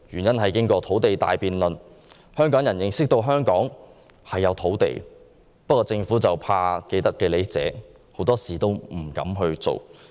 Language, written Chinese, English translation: Cantonese, 經過土地大辯論，香港人認識到香港是有土地的，但政府由於害怕既得利益者，很多時都不敢行動。, After the big debate on land people of Hong Kong come to realize that there is land in Hong Kong but the Government fearing to affect those with vested interest very often dares not take actions